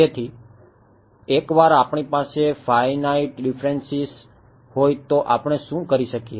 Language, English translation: Gujarati, So, once we had the finite differences what could we do